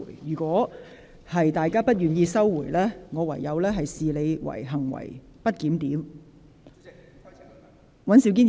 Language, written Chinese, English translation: Cantonese, 如果有關議員不收回，我會視之為行為不檢。, If the Members concerned do not withdraw them I will regard it as disorderly behaviour